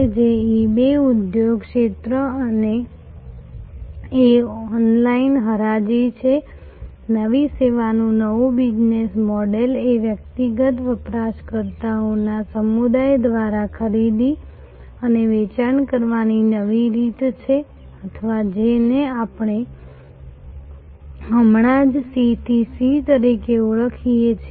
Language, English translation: Gujarati, So, eBay industry sector is online auction, new service new business model is a new way of buying and selling through a community of individual users or what we just now called C to C